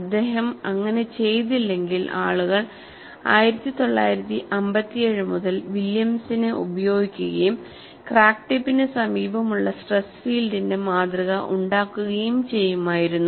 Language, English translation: Malayalam, If he had not made that, then people would have used Williams right from 1957 and model the stress field in the near facility of the crack tip